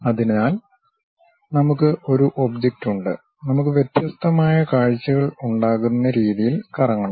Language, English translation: Malayalam, So, we have an object, we have to rotate in such a way that we will have different kind of views